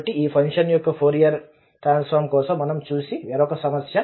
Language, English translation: Telugu, So, another problem where we will look for the Fourier Transform of this function